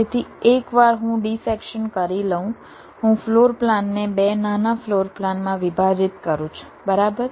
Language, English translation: Gujarati, once i do a dissection, i divide the floor plan into two smaller floor plans